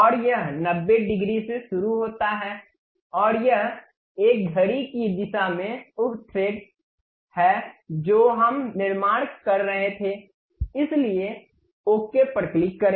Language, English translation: Hindi, And it begins at 90 degrees, and it is a clockwise uh thread we were constructing, so click ok